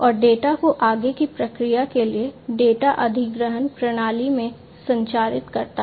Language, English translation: Hindi, And transmit the data to the data acquisition system for further processing